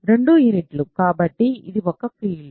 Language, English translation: Telugu, So, and both are units, so, it is a field